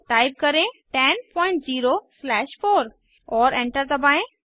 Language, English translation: Hindi, Type 10 slash 4 and press Enter